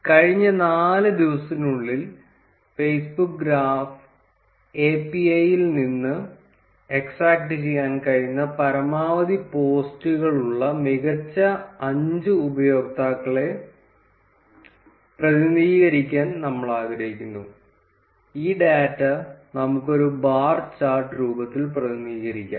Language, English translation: Malayalam, Suppose, we would like to represent the top 5 users which had the maximum posts which we could extract from Facebook graph api in the last four days; we can represent this data in the form of a bar chart